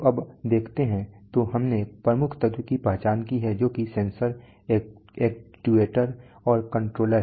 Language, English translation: Hindi, So now let us see, so we have identified the major element so the elements are sensor, actuator, and controller